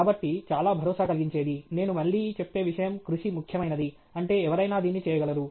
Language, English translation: Telugu, So, the most reassuring, I come again is, hard work alone matters, which means any one can do it